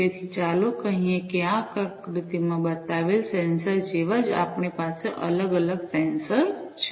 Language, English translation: Gujarati, So, let us say that we have different sensors like the ones that are shown in this figure